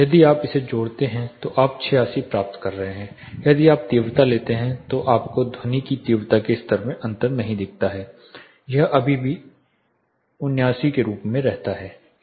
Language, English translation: Hindi, If you sum it up you are getting 86 as a number here, if you take the intensity you do not see a difference in the sound intensity level it still remains as 89